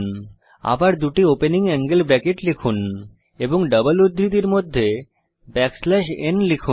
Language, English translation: Bengali, Again type two opening angle brackets and within the double quotes type back slash n Now click on Save